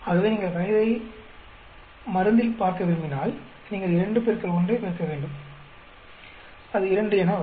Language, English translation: Tamil, So, if you want to look at age into drug that is interaction, then you need to multiply 2 into 1 that comes 2